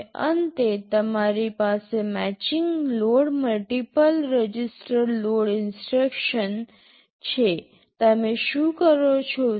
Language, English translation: Gujarati, Now at the end you have a matching load multiple register load instruction, what you do